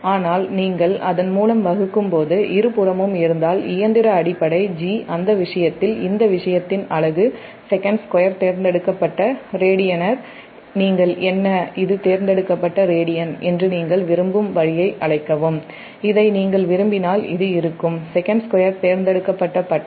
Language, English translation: Tamil, but if both side, when you divide by its machine base g, in that case the unit of this thing coming second square per electrical, your radian or your what you call the way you wants, this is per electric radian and this will be